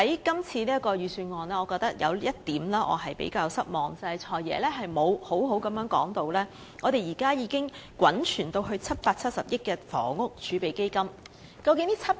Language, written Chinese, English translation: Cantonese, 今次預算案有一點令我比較失望，就是"財爺"未有妥善交代現時已滾存至770億元的房屋儲備金的情況。, I find one thing of the Budget rather disappointing namely the Financial Secretary has failed to give a proper account on the situation of the Housing Reserve which boasts 77 billion in accumulated assets currently